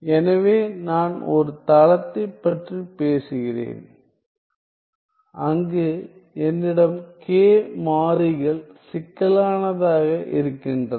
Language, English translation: Tamil, So, I am talking about a plane where I am I have the variables k being complex